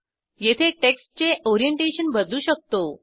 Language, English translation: Marathi, Here you can change Orientation of the text